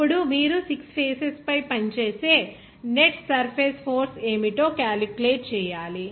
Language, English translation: Telugu, Then you have to calculate what should be the net surface force acting on six faces